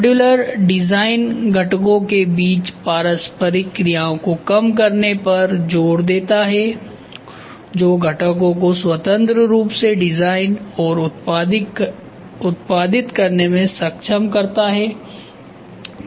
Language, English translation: Hindi, Modular design emphasis the minimization of interaction between the components which will enable components to be designed and produced independently